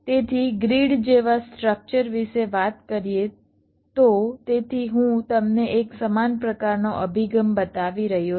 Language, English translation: Gujarati, so, talking about the grid like structure, so i am showing you another kind of a similar approach